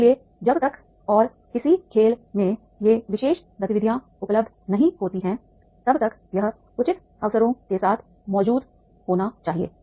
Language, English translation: Hindi, So unless and until these particular activities that are available in a game then that should be present with the reasonable opportunities